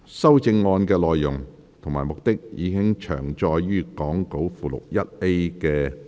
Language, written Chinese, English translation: Cantonese, 修正案的內容及目的，已詳載於講稿附錄 1A 的列表。, The contents and objectives of the amendments are set out in the table in Appendix 1A to the Script